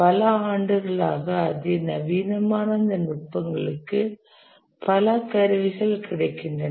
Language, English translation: Tamil, These techniques over the years become sophisticated, many tools that are available